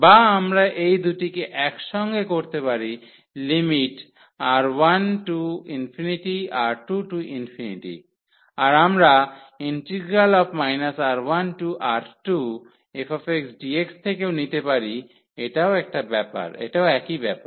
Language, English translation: Bengali, Or, we can combine these two like limit R 1 to infinity R 2 to infinity and we take from minus R 1 to R 2 f x dx this is the same